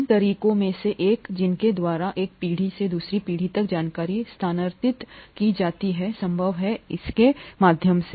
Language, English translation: Hindi, One of the reasons, one of the ways by which information transfer from one generation to the other is made possible, is through this